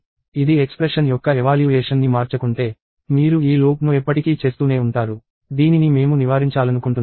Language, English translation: Telugu, If it does not change the evaluation of expression, you will keep doing this loop forever, which we want to avoid